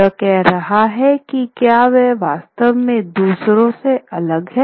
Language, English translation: Hindi, He's saying that really is he different from the others